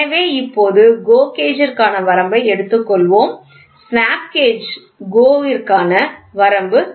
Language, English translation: Tamil, So, now, let us take for limit for GO gauge GO snap gauge snap gauge is equal to 40